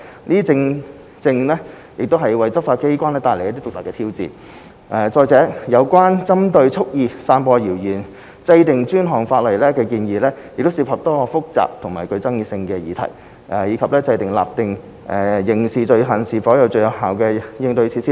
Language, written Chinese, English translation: Cantonese, 這正正為執法機關帶來獨特的挑戰，再者，有關為針對蓄意散播謠言制定專項法例的建議，涉及多項複雜和具爭議性的議題，以及訂立特定刑事罪行是否最有效的應對措施等。, This presents unique challenges to law enforcement agencies . Furthermore the proposal to introduce specific legislation targeting deliberate dissemination of rumours would involve many complicated and controversial issues and whether the introduction of specified criminal offence would be the most effective measure in tackling the issue etc